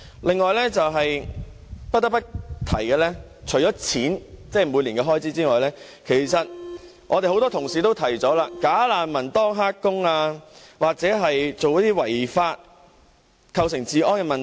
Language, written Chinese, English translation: Cantonese, 另外，不得不提的是，除了錢，即每年的開支外，很多同事也提到"假難民"當"黑工"又或做違法的事而構成治安問題。, Apart from money that is the yearly expenditure there is another issue that has to be dealt with . Many Members have mentioned the security problems posed by bogus refugees engaging in illegal employment or illicit dealings